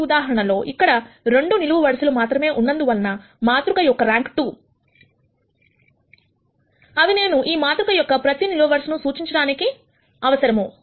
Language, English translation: Telugu, In this case since the rank of the matrix turns out to be 2, there are only 2 column vectors that I need to represent every column in this matrix